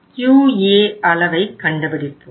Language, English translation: Tamil, This is our Q level